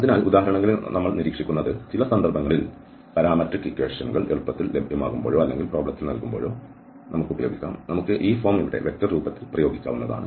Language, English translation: Malayalam, So, what we will observe in the examples, in some cases when the parametric equation is easily available or given in the problem, then we can apply this form here, in the vector form